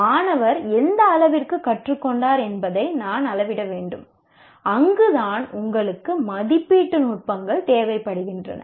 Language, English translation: Tamil, So I need to measure to what extent the student has learned and that is where you require the techniques of evaluation